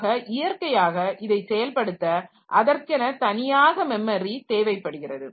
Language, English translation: Tamil, So, naturally the implementation can have its own memory requirement